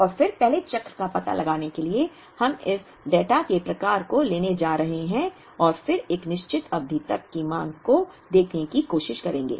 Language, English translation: Hindi, And then in order to find out the first cycle, we are going to kind of pick part of this data and then try to look at a demand up to a certain period